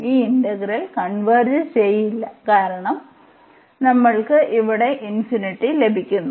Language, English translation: Malayalam, So, this integral does not converge because we are getting the infinity here